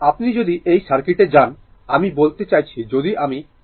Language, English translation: Bengali, If you go to this circuit right, your go to this circuit, I mean if you your suppose I want to apply KVL right, I want to apply KVL